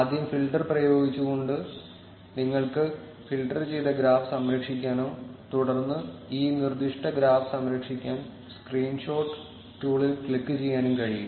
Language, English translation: Malayalam, You can also save the filtered graph by first applying the filter, and then clicking on the screenshot tool to save this specific graph